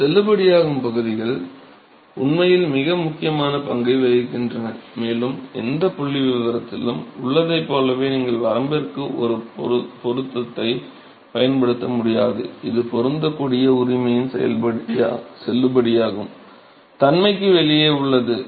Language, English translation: Tamil, So, these validity regions, they actually play a very important role and just like in any statistics, you cannot apply a fit to the range, which is outside the validity of the fit right